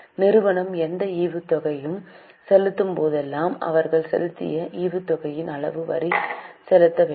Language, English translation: Tamil, Whenever company pays any dividend, they have to pay tax on the amount of dividend paid